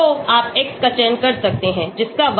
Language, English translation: Hindi, So you can select the x which seems to have good correlation with y